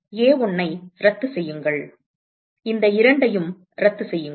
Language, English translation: Tamil, So, cancel off A1, cancel off these two